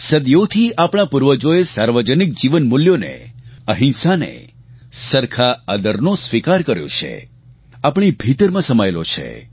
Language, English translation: Gujarati, For centuries, our forefathers have imbibed community values, nonviolence, mutual respect these are inherent to us